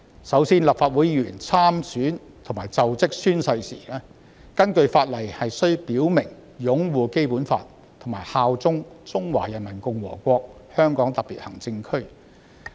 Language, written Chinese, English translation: Cantonese, 首先，立法會議員參選和作就職宣誓時，根據法例須表明擁護《基本法》，以及效忠中華人民共和國香港特別行政區。, First of all when people stand in the Legislative Council election and later takes an oath of office the law requires him to swear to uphold the Basic Law and swear allegiance to the Hong Kong Special Administrative Region of the Peoples Republic of China